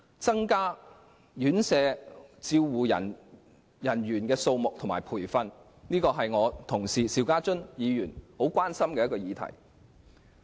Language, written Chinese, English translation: Cantonese, 增加院舍護理員的數目和培訓，是我同事邵家臻議員十分關心的議題。, My colleague Mr SHIU Ka - chun is gravely concerned about increasing care workers for residential care homes and enhancing their training